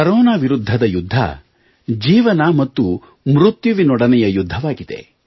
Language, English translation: Kannada, The fight against Corona is one between life and death itself…we have to win